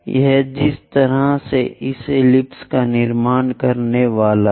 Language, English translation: Hindi, This is the way one supposed to construct this ellipse